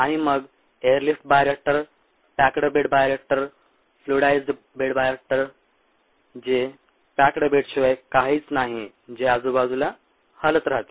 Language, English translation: Marathi, ah, it's nothing but a stirred tank, and then an air lift bioreactor, a packed bed bioreactor, ah, fluidized bed bioreactor, which is nothing ah but a packed bed with gigues around